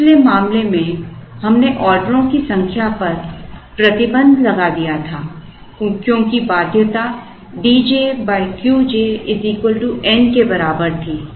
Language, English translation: Hindi, In the previous case where we put a restriction on the number of orders the constraint was of the type D j by Q j equal to n